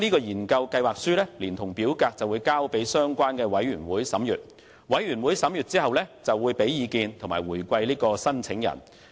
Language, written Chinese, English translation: Cantonese, 研究計劃書連同表格交由相關委員會審閱，委員會審閱後會向申請人給予意見回饋。, The research proposal together with the form will then be submitted to the relevant committee for perusal after which the committee will provide feedback to the applicant